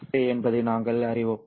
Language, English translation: Tamil, We also know that this is the same thing